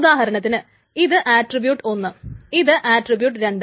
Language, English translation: Malayalam, And while this is attribute 1, attribute 2 and so on so forth